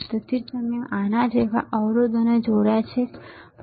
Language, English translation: Gujarati, That is why I connected resistors like this, not resistor like this